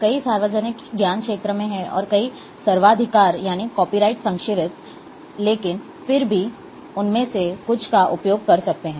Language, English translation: Hindi, Many are in public domain, and many are copy write protected, but still some of them, we can use it